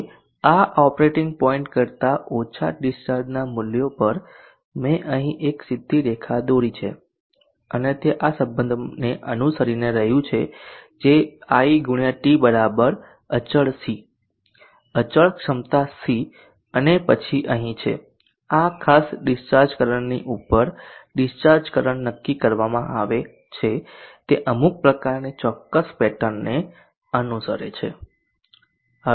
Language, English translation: Gujarati, Now at the values of discharge current lower than this operating point, I have drawn a straight line here and it is following this relationship which is I x t = c and then here discharge current above this particular discharge current, it will follow some kind of square pattern